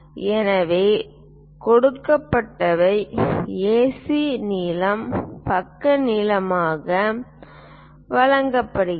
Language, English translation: Tamil, So, what is given is AC length is given as side length